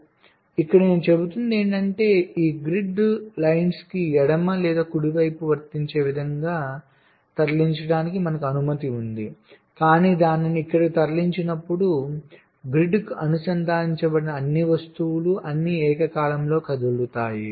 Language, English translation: Telugu, so here what i am saying is that here we are allowed to move this grid lines to the left or to the right, whatever is applicable, but when you move it here, all the objects which are attached to the grid, they will all move simultaneously this grid line